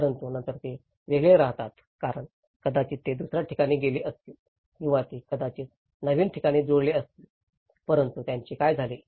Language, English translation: Marathi, But then these are left isolated because they might have moved to other place or they might have been adjusted to in a new place but what happened to these